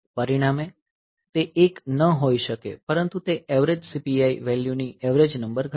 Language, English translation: Gujarati, So, that as a result it cannot be 1, but it is it will reduce the average number of average CPI value